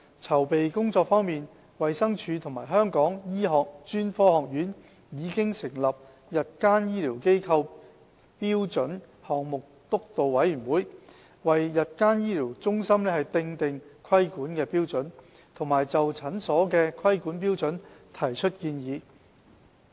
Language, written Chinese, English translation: Cantonese, 籌備工作方面，衞生署和香港醫學專科學院已成立日間醫療機構標準項目督導委員會，為日間醫療中心訂定規管標準和就診所的規管標準提出建議。, As to the preparation work a Project Steering Committee on Standards for Ambulatory Facilities was set up by the Department of Health and the Hong Kong Academy of Medicine to draw up regulatory standards for day procedure centres and to give advice on the regulatory standards for clinics